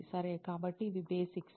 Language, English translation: Telugu, Okay, so this is a basics